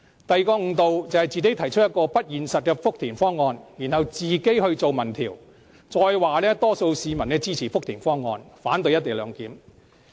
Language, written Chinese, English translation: Cantonese, 第二個誤導，便是自己提出不現實的福田方案，再自行進行民調，並說多數市民支持福田方案，反對"一地兩檢"。, Second after introducing such an unrealistic Futian proposal they go on to mislead the public by conducting a survey on their own . They then claim that most people support the Futian proposal and reject the co - location arrangement